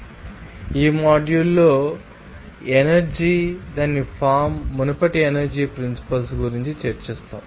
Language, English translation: Telugu, So, in this module you have energy and its forms will discuss about the principles of energy in the previous